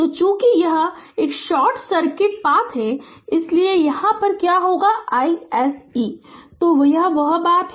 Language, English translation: Hindi, So, as it is a short circuit path so, what will be my i s c; so that is the thing